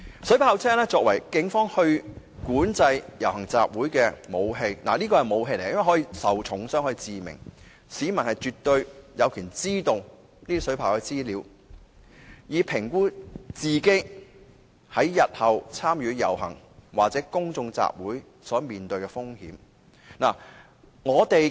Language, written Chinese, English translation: Cantonese, 水炮車作為警方管制遊行集會的武器——是武器——可以令人嚴重受傷甚或死亡，市民絕對有權知道水炮車的資料，以評估自己日後參與遊行或公眾集會所面對的風險。, Water cannon vehicles may cause serious injury or death when used by the Police as weapons to control processions and assemblies . I repeat water cannon vehicles are weapons . Therefore the public do have the right to learn about water cannon vehicles for a better assessment of the risks in joining any future processions or public assemblies